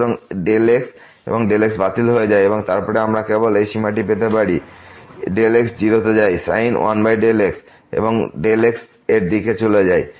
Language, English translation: Bengali, So, delta and delta gets cancelled and then, we get simply this limit delta goes to 0 sin 1 over delta and delta approaches to 0